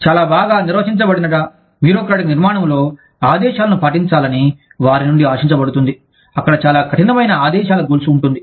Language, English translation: Telugu, In a very well defined bureaucratic structure, where they are expected, to follow orders, where there is, very strict chain of command